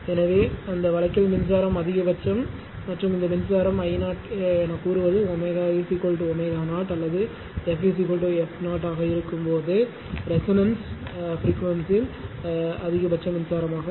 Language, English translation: Tamil, So, in that case that your current is maximum and these current say it is I 0 I 0 is the maximum current at resonance frequency when omega is equal to omega 0 or f is equal to f 0 right